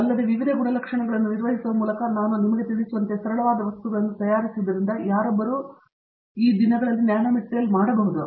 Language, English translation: Kannada, And also, handling various characterizing facilities, just by making a material as simple as I can tell you, anybody can easily make a nanomaterial nowadays